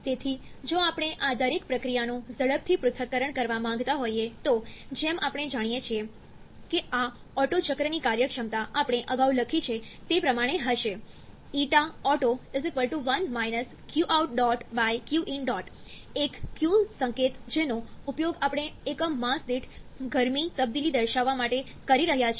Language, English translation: Gujarati, So, if we want to analyse each of this processes quickly then, as we know the efficiency of this otto cycle is going to be as we wrote earlier 1 – q dot out/ q dot in, a small q notation we are using to denote heat transfer per unit mass, so you have to estimate the total heat transfer associated with the process